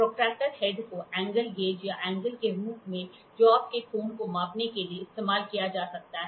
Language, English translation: Hindi, The protractor head can be used as an angle gauge or angle to measure the angle of the job